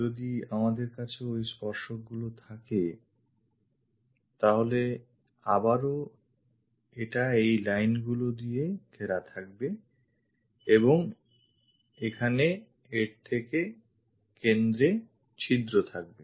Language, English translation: Bengali, So, if we are having these tangent lines, again its bounded by these lines and hole center here